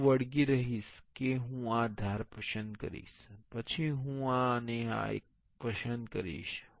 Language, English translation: Gujarati, I will stick on to that I will select this edge, then I will select this one and this one